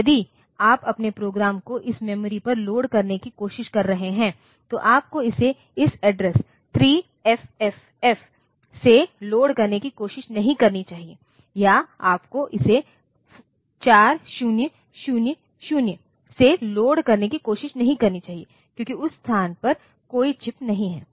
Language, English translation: Hindi, So, if you are trying to load your program on to this memory you should not try to load it from address say 3FFF or you should not try to load sorry you should not try to load it from 4000 onwards because that space there is no chip